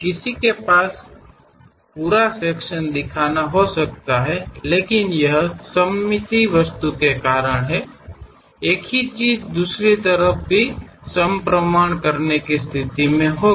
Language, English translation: Hindi, One can have complete section show that; but it is because of symmetric object, the same thing one will be in a position to sense it on the other side